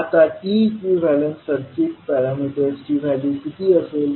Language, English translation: Marathi, Now, what would be the value of T equivalent circuit parameters